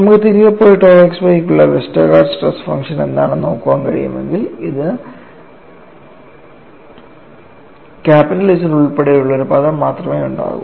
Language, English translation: Malayalam, If you can go back and look at what was the Westergaard stress function for tau xy, it will have only one term involving capital Z